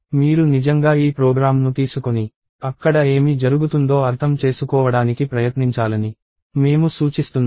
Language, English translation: Telugu, So, I suggest that you actually take this piece of program and tried it out to understand, what is happening there